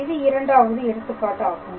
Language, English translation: Tamil, So, this is another interesting example